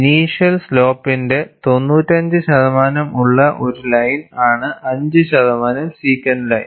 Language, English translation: Malayalam, A line with 95 percent of the initial slope is 5 percent secant line